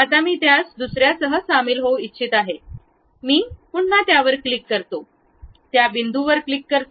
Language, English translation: Marathi, Now, I would like to join that one with other one, again I click that one, click that point